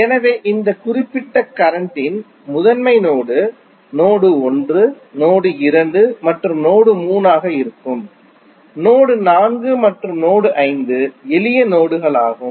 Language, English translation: Tamil, So, in this particular circuit principal node would be node 1, node 2 and node 3 while node 4 and node 5 are the simple nodes